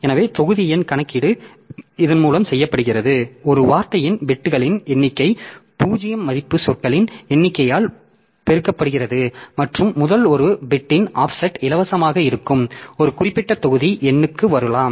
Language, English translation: Tamil, So, block number calculation is done by this so number of bits per word multiplied by number of zero value words plus offset of the first one bit so that way it can come to a particular block number which is free